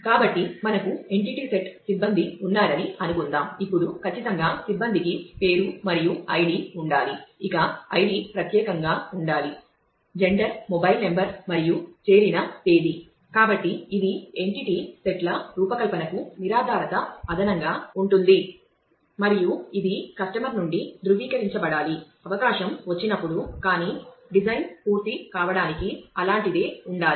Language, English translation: Telugu, So, let us assume that we have a entity set staff which certainly a staff should have name and id which id should be unique, gender, mobile number and date of joining